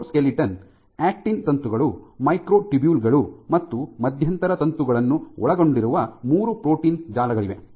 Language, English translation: Kannada, So, there are three protein networks which constitute the cytoskeleton, the actin filaments, the microtubules, and intermediate filaments